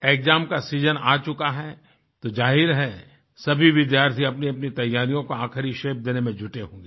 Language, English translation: Hindi, My dear countrymen, the exam season has arrived, and obviously all the students will be busy giving final shape to their preparations